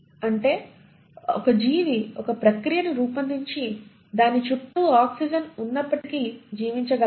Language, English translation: Telugu, That means the organism should have evolved a process by which despite having oxygen around it should be able to survive